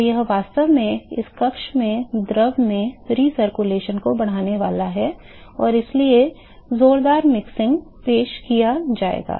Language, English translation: Hindi, So, this is actually going to increases the recirculation in the in the fluid in this chamber and so, there will be vigorous mixing that will be introduced